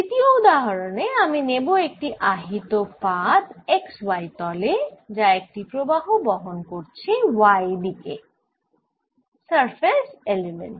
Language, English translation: Bengali, as a second example, i will take a heat of charge in the x y plain carrying a current, let's say in the y direction, surface current